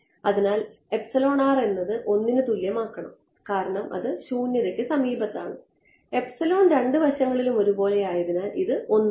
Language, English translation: Malayalam, So, by the way this epsilon r can just be made 1 right because its adjacent to vacuum epsilon was the same on both sides, so this is 1